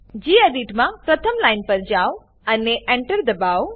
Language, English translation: Gujarati, In gedit, go to the first line and press enter